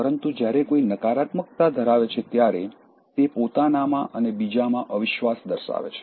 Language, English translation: Gujarati, But when one possesses negativity it shows lack of faith in oneself and others